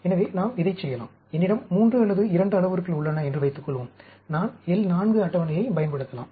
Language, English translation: Tamil, So, we can do it for, suppose I have parameters 3 or 2, I can use the L 4 table